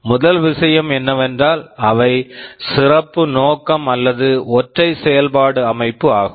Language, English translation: Tamil, First thing is that they are special purpose or single functional